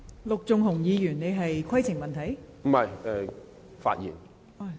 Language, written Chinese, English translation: Cantonese, 陸頌雄議員，你是否要提出規程問題？, Mr LUK Chung - hung do you wish to raise a point of order?